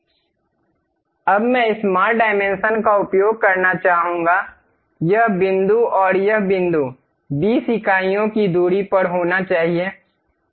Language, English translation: Hindi, Now, I would like to use smart dimension, this point and this point supposed to be at 20 units of distance, done